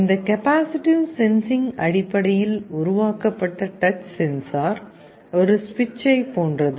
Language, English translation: Tamil, The touch sensor that is built out of this capacitive sensing is similar to a switch